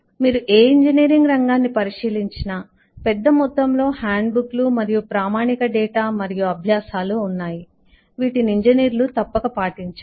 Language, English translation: Telugu, if you look into any of the streams of engineering, there is a large volume of handbooks and eh standard data and practices which the engineers must follow